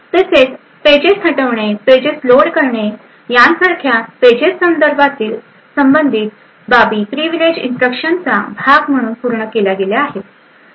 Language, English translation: Marathi, Also the paging related aspects such as eviction of a page, loading of a page all done as part of the privileged instructions